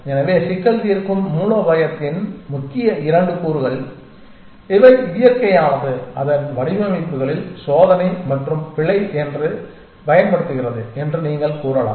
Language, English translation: Tamil, So, these are the main 2 components of the problem solving strategy that you might say nature employ employs which is the trial and error with its designs